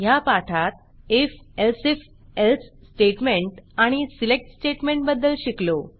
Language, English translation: Marathi, In this tutorial we have learnt the if elseif else statement and the select statement